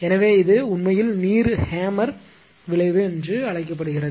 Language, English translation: Tamil, So, it is called actually water hammer effect right